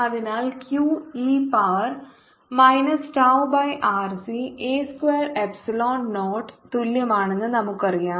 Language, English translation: Malayalam, so we know just e equals to q naught e to the power minus tau y r c pi a square epsilon naught